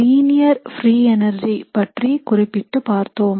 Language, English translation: Tamil, So particularly we had looked at linear free energy relationships